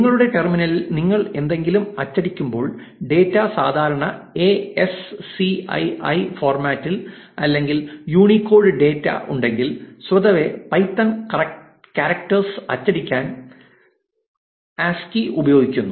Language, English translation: Malayalam, So, what happens is by default, when you are printing something on your terminal, if the data is not in the standard ASCII format and if there is a Unicode data; by default python uses ASCII to print character